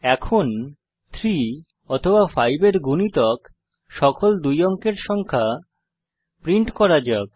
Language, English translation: Bengali, Now let us print all the 2 digit numbers that are multiples of 3 or 5